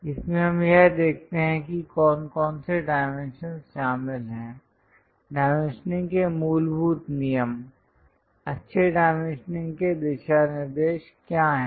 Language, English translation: Hindi, In this, we look at what are the dimensions involved, fundamental rules of dimensioning, guidelines required for good dimensioning in engineering drawings